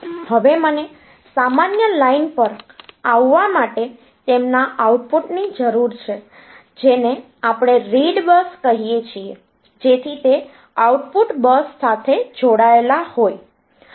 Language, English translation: Gujarati, Now I need their output to come on to a common line which we call red bus, so they are outputs are connected to the bus